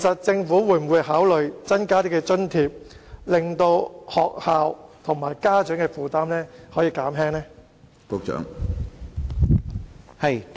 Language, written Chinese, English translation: Cantonese, 政府會否考慮增加津貼，以減輕學校與家長的負擔？, Will the Government consider increasing the grant to alleviate the burden on schools and parents?